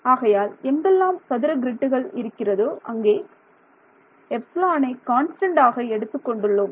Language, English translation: Tamil, So, wherever there is a square grid I assume the epsilon is constant over there